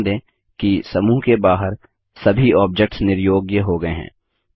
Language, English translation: Hindi, Notice that all the objects outside the group are disabled